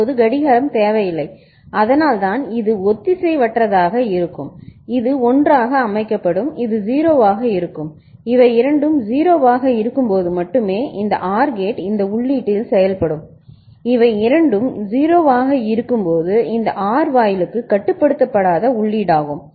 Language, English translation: Tamil, Now clocking is not required that is why it is asynchronous whenever it is made like this then this is your, this will be set to 1 and this will be 0 and only when both of them are 0 this OR gate will be acting on this input when both of them are 0 right this is a non forcing input for the OR gate